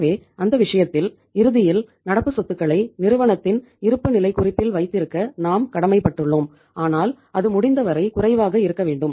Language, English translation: Tamil, So in that case ultimately means we are bound to keep the current assets in the balance sheet of the firm but that should be as low as possible